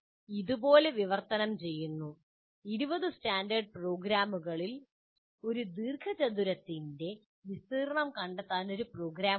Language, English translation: Malayalam, Essentially translate like this, you write out of the 20 standard programs, there is one program to find the area of a rectangle